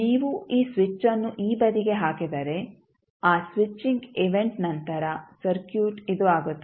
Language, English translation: Kannada, So, if you put this switch to this side then after that switching event the circuit will become this